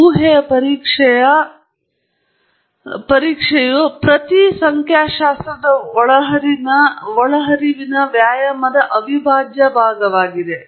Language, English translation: Kannada, And hypothesis testing is an integral part of every statistical inferencing exercise